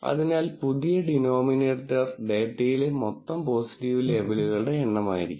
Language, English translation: Malayalam, So, the new denominator has to be the total number of positive labels in the data